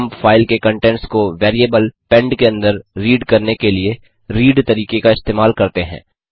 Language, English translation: Hindi, We use the read method to read all the contents of the file into the variable,pend